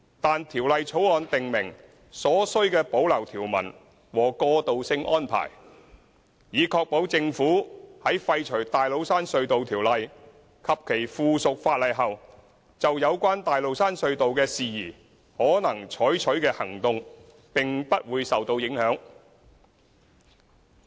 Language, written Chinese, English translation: Cantonese, 但《條例草案》訂明所需的保留條文和過渡性安排，以確保政府在廢除《大老山隧道條例》及其附屬法例後，就有關大老山隧道的事宜可能採取的行動並不會受到影響。, However the Bill also provides for the necessary savings and transitional arrangements to ensure that the repeal of the Tates Cairn Tunnel Ordinance and its subsidiary legislation will not affect the Government in pursuing any actions against TCT - related matters